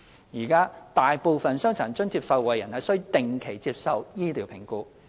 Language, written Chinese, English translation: Cantonese, 現時，大部分傷殘津貼受惠人須定期接受醫療評估。, Currently most DA recipients are subject to regular medical assessments